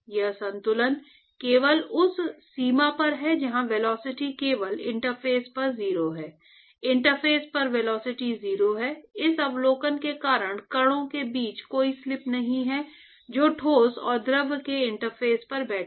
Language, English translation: Hindi, This balance is only at the boundary where the velocity is 0 only at the interface, at the interface the velocity is 0 we are able to do this simply because of the observation that there is no slip between the particles which is sitting right at the interface of the solid and the fluid